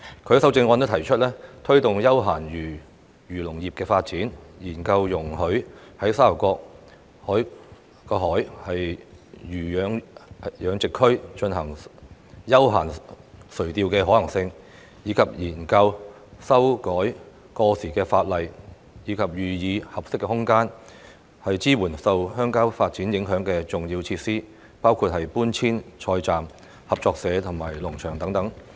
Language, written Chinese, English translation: Cantonese, 他在修正案提出推動休閒漁農業發展，研究容許在沙頭角海魚養殖區進行休閒垂釣的可行性，以及研究修改過時法例及予以合適空間，支援受鄉郊發展影響的重要設施，包括搬遷菜站、合作社及農場等。, In the amendment he proposes promoting the development of leisure agriculture and fisheries studying the feasibility of allowing recreational fishing in the marine fish culture zone in Sha Tau Kok STK and conducting a study to amend outdated legislation and offering suitable spaces to support essential facilities affected by rural development including relocation of vegetable depots vegetable marketing cooperative societies and farms